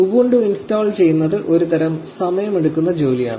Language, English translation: Malayalam, So, installing ubuntu is a kind of a time consuming task